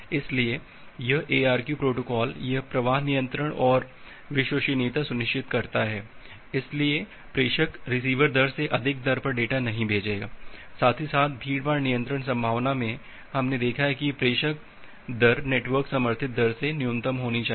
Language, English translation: Hindi, So, this ARQ protocols see it ensures the flow control and reliability, so the sender will not send data at a rate higher than the receiver rate; as well as in the congestion control prospective we have seen that the sender rate should be minimum of the network supported rate